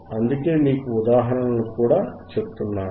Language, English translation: Telugu, That is why, I also tell you the examples